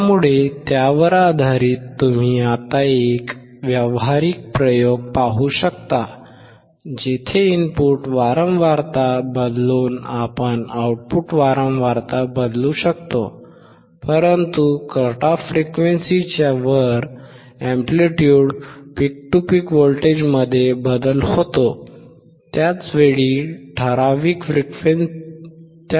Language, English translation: Marathi, So, based on that you now can see a practical experiment, where changing the input frequency we can see the change in output frequency, but above the cut off frequency there is a change in the amplitude peak to peak voltage